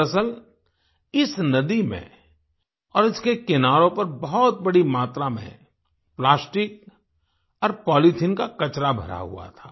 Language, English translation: Hindi, Actually, this river and its banks were full of plastic and polythene waste